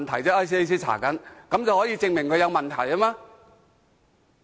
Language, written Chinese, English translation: Cantonese, 這足以證明他有問題嗎？, Can this sufficiently prove that he has problems?